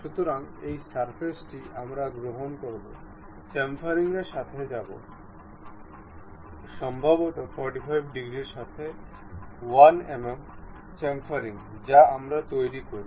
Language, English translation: Bengali, So, this surface we will take it, go with the chamfering, maybe 1 mm chamfer with 45 degrees we make